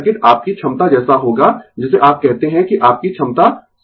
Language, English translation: Hindi, So, circuit will be like your capacity what you call that your capacity circuit right